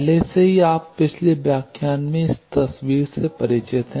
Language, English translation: Hindi, Already you are familiar with this picture in a previous lecture